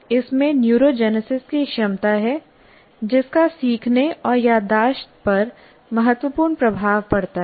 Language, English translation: Hindi, It has the capability of neurogenesis which has significant impact on learning and memory